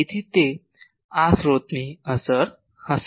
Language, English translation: Gujarati, So, that will be the effect of this source